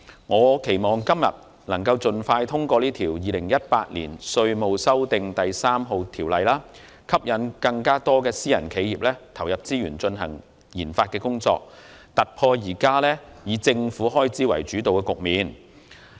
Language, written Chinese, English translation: Cantonese, 我期望今天能盡快通過《2018年稅務條例草案》，吸引更多私人企業投入資源進行研發，突破現時以政府開支主導的局面。, We suggested to the Government many years ago the introduction of enhanced tax deduction measures to encourage private enterprises to increase their investments on RD . Hence I agree with the Governments proposals under the Inland Revenue Amendment No